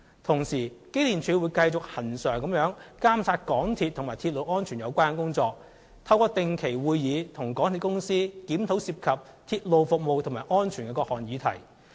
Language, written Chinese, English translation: Cantonese, 同時，機電署會繼續恆常監察港鐵及與鐵路安全有關的工作，透過定期會議，與港鐵公司檢討涉及鐵路服務及安全的各項議題。, At the same time EMSD will keep monitoring MTRCLs work in relation to railway safety constantly . Through regular meetings EMSD will review various issues concerning railway service and safety with MTRCL